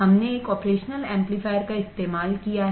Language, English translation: Hindi, We have used an operational amplifier